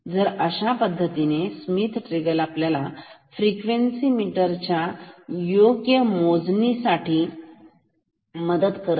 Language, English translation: Marathi, So, that is how this Schmitt trigger helps in proper counting in a frequency meter ok